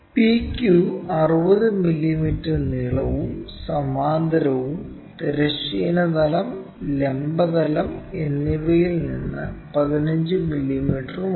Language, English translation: Malayalam, PQ is 60 millimeter long and is parallel to and 15 mm from both horizontal plane and vertical plane